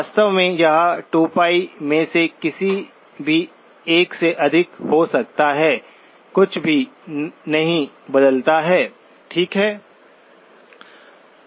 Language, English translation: Hindi, In fact, it can be any multiple of 2pi as well, does not change anything, okay